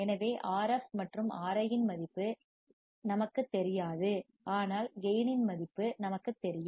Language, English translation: Tamil, So, we do not know value of Rf and Ri, but we know value of gain